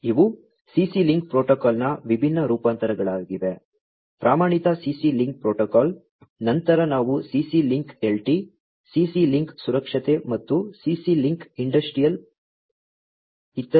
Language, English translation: Kannada, So, these are the different variants of the CC link protocol, the standard CC link protocol, then we have the CC link LT, CC link safety, and CC link Industrial Ethernet